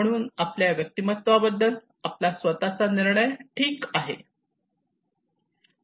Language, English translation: Marathi, So we have our own judgment about our personality okay